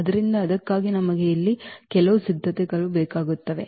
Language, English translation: Kannada, So, for that we just need some preparations here